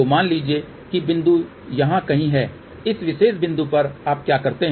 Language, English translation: Hindi, So, suppose if the point is somewhere here that at this particular point, what you do